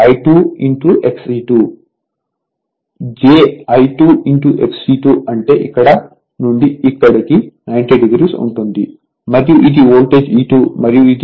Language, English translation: Telugu, So, as j I 2 X e 2 means it will be 90 degree from here to here and this is my voltage E 2 and this is my delta right